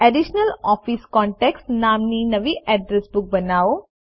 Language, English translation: Gujarati, Create a new address book called Additional Office Contacts